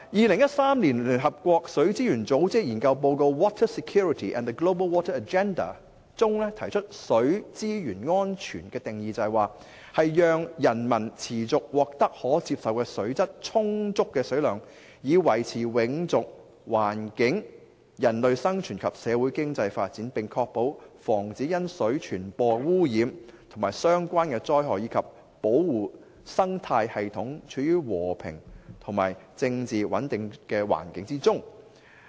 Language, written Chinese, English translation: Cantonese, 聯合國水資源組織在於2013年發表的研究報告提出水資源安全的定義，就是讓人民持續獲得可接受的水質，充足的水量以維持永續環境、人類生存及社會經濟發展，並確保防止因水傳播污染及相關災害，以及保護生態系統處於和平與政治穩定的環境中。, In the research report Water Security and the Global Water Agenda published by UN - Water in 2013 water security is defined as the capacity of a population to safeguard sustainable access to adequate quantities of acceptable quality water for sustaining livelihoods human well - being and socio - economic development for ensuring protection against water - borne pollution and water - related disasters and for preserving ecosystems in a climate of peace and political stability